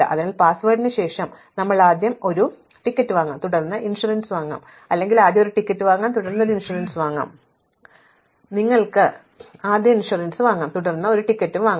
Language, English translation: Malayalam, So, after password you can either buy a ticket first and then buy insurance or you can buy insurance first and then buy a ticket